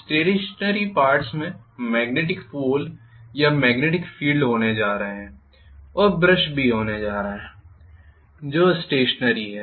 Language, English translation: Hindi, The stationary parts are going to be the poles or magnetics poles or magnetic field and I am also going to have the brushes which are stationary